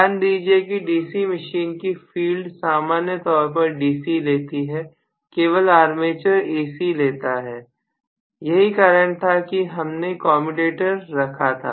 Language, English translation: Hindi, Please remember in DC machine the field carries normally DC, only the armature carries AC right that is why we have put commutator and so on and so forth